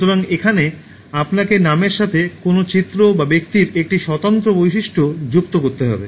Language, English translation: Bengali, So here, you need to associate an image or a distinctive feature of the person with the name